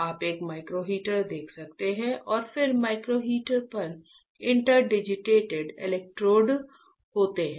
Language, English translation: Hindi, You can see a micro heater right and then there are interdigitated electrodes on the micro heater, right